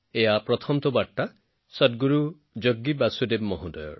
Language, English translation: Assamese, The first message is from Sadhguru Jaggi Vasudev ji